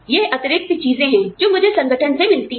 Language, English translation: Hindi, It is additional things, that I get, from the organization